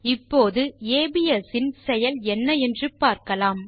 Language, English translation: Tamil, Now, lets see what the functions abs is used for